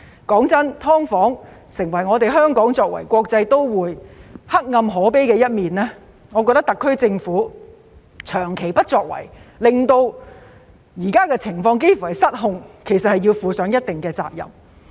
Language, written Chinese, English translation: Cantonese, 說實話，"劏房"成為香港作為國際都會黑暗可悲的一面，我覺得特區政府長期不作為，令現時的情況幾近失控，要負上一定責任。, Frankly speaking SDUs have become a dark and pathetic feature of Hong Kong as a cosmopolitan city . I think that since the SAR Government has taken no action for a long time the current situation has become almost out of control; thus to a certain extent it should be held responsible